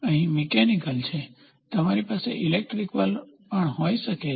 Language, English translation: Gujarati, So, here is mechanical, you can also have electrical